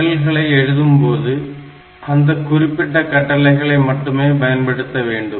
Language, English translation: Tamil, And while writing programs, we should write following those instructions only